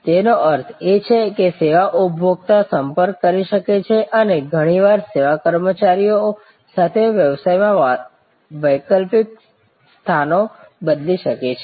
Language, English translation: Gujarati, That means, service consumers can interact and can often actually alternate places with the service employees